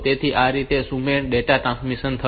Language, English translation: Gujarati, So, this way this asynchronous data transmission will take place